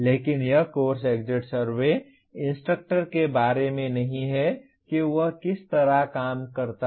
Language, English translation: Hindi, But this course exit survey is not about the instructor, how he conducted that kind of thing